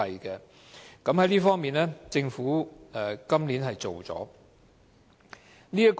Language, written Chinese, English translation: Cantonese, 在這方面，政府今年做到了。, This year the Government is able to put it into practice